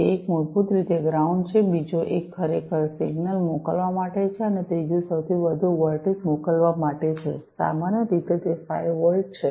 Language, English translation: Gujarati, So, one is basically the ground, the second one is for actually sending the signal, and the third one is for sending the highest voltage, typically, it is the 5 volts